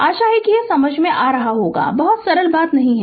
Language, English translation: Hindi, Hope this is understandable to you right, not very simple thing